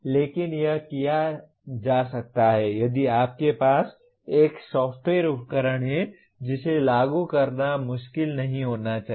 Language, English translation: Hindi, But this can be done if you have a software tool implementing this should not be difficult at all